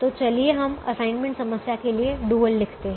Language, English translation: Hindi, so now let us write the dual of the assignment problem